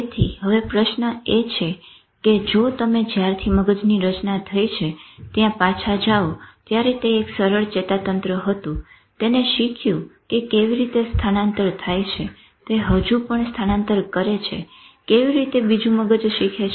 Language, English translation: Gujarati, So now the question is if you go back that brain since it has been formed when it was simple nervous system it has learned how does it transmit